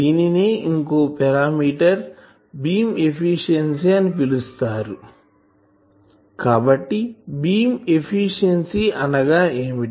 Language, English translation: Telugu, So, that parameter is called Beam efficiency